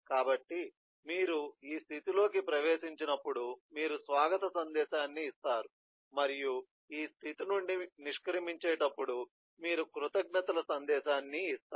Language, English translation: Telugu, so the activity when you enter the state is you put on a welcome message and the activity when you exit the state is you put on a thanks message and so on